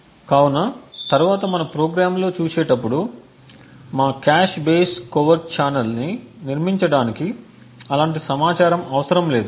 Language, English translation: Telugu, So, later on as we would see in the programs we would require to no such information in order to build our cache base covert channel